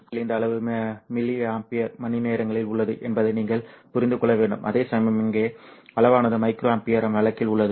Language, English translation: Tamil, Of course you have to understand that this scale here on the positive is in millie amper whereas the scale here is in the micro amper case